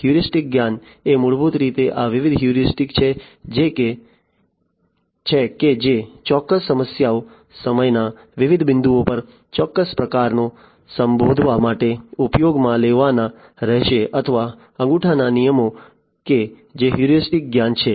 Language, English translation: Gujarati, Heuristic knowledge is basically you know these different heuristics that will or the rules of thumb that will have to be used in order to address certain problems, certain challenges at different points of time that is heuristic knowledge